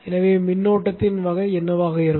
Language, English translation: Tamil, So what should be the type of the current